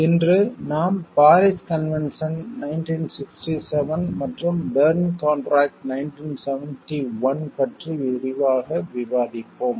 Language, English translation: Tamil, Today we will discuss in details about the brief convention Paris Convention 1967 and the Berne contract 1971